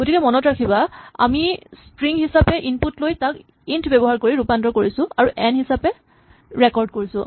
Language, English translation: Assamese, So, remember we take the input it will be a string we convert it using int and we record this as N